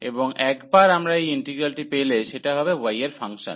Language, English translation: Bengali, And once we have this integral, which is will be a function of y